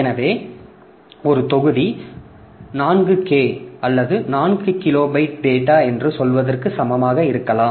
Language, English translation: Tamil, So, one block may be equal to say 4K or so, 4 kilobyte of data